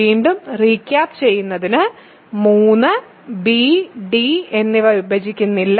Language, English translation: Malayalam, Just to recap again 3 does not divide b and d